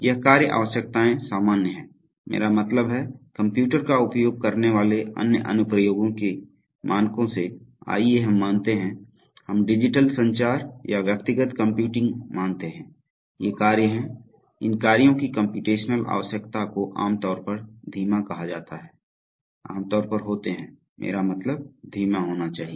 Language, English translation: Hindi, This tasks requirements are general, I mean by standards of other applications using computers, let us say, let us say, let us say digital communication or personal computing, these tasks are, the computational requirement of these tasks are generally called slow, are generally I mean should be slow